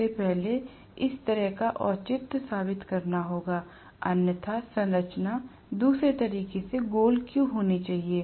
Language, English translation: Hindi, First of all, will have to kind of justify this, otherwise, why should the structure be the other way round